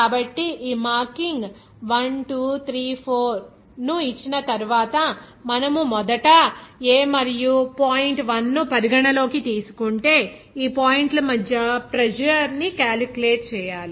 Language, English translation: Telugu, So, after giving these marking up 1, 2, 3, 4, we have to calculate the pressure between these points like here if we consider first the point A and 1